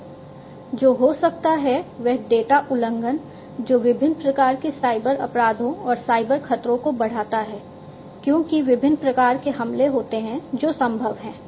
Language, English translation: Hindi, So, what might happen is one might incur data breaches, which increases different types of cyber crimes and cyber threats because there are different types of attacks, that are possible